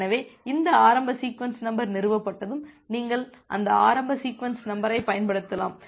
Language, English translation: Tamil, So once this initial sequence number has been established then you can use that initial sequence number